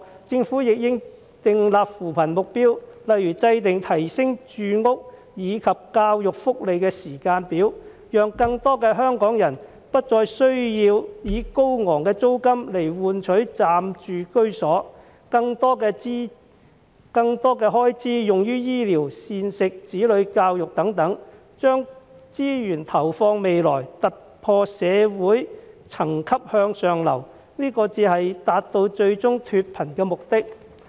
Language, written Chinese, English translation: Cantonese, 政府亦應訂立扶貧目標，例如制訂提升住屋以及教育、福利的時間表，讓更多香港人不再需要以高昂的租金來換取暫住居所，可將更多的開支用於醫療、膳食、子女教育等，將資源投放未來，突破社會層級，向上流動，這才能達致最終脫貧的目的。, The Government should also set some poverty alleviation objectives like drawing up timetables for improving housing education and welfare to spare more Hong Kong people the need to pay high rents for accommodation . In this way they can allocate more expenses to such aspects as healthcare food and education of their children . With resources invested in the future they can advance from their social class and move up the social ladder